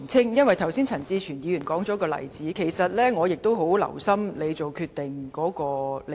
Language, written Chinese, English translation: Cantonese, 由於剛才陳志全議員提出一個例子，而我十分留心主席作決定的理據。, Owing to the example cited by Mr CHAN Chi - chuen just now I have paid great attention to the Presidents justifications for making the decision